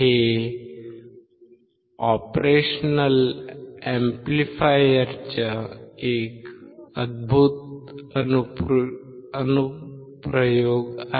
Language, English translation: Marathi, It is an amazing application of an operational amplifier